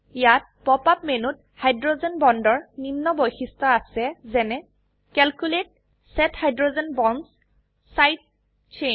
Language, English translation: Assamese, The Hydrogen Bonds option in the Pop up menu has features such as: Calculate, Set Hydrogen Bonds Side Chain